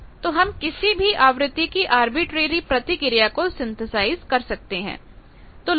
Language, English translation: Hindi, So, any arbitrary frequency response you can synthesize